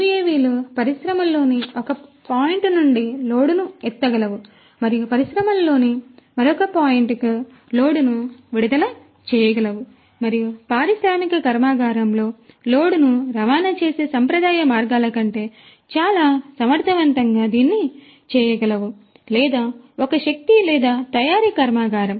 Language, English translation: Telugu, UAVs could lift the load from one point in the industry and could send and could you know release the load to another point in the industry, and maybe it can do that in a much more efficient manner than the conventional means of transporting load in an industrial plant or a power or a manufacturing plant